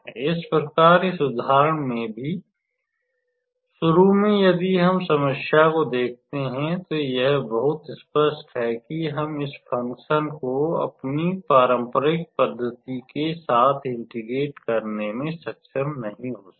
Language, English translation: Hindi, So, here in this example also initially if we look at the problem, it is very clear that we cannot be able to integrate this function by with our traditional method